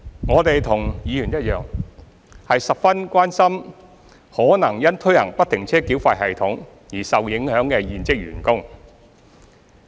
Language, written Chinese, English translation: Cantonese, 我們和議員一樣，十分關心可能因推行不停車繳費系統而受影響的現職員工。, We are as concerned as Members about the existing tunnel staff who may be affected by the implementation of FFTS